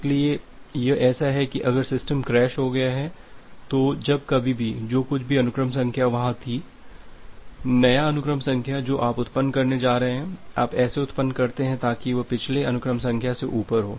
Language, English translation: Hindi, So, it is just like that if the if you have if the system has crashed then whenever whatever sequence number was there, the new sequence number that you are going to generate, you generate in such a way, so that is above the previous sequence number